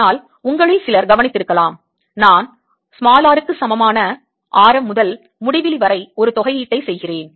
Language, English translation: Tamil, but some of you may have noticed that i am doing an integration from r equal to radius upto infinity